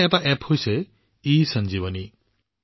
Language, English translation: Assamese, There is one such App, ESanjeevani